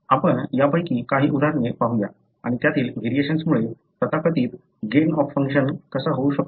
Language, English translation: Marathi, So, let us look into some of these, examples and how variations there can lead to so called gain of function